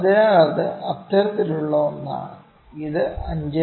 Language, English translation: Malayalam, So, it is something like that, it is something like 5